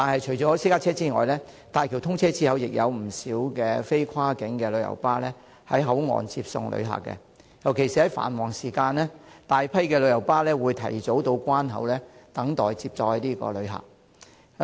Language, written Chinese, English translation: Cantonese, 除私家車外，大橋通車後亦有不少非跨境旅遊巴士在口岸接送旅客，尤其在繁忙時間，大批旅遊巴士會提早到關口等待接載旅客。, Apart from private cars many non - cross - boundary coaches will pick up and drop off passengers at the Hong Kong Port after the commissioning of HZMB . During peak hours a large number of coaches will wait for their passengers at the border control point